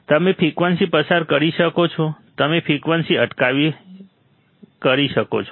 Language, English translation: Gujarati, You can pass the frequency; you can stop the frequency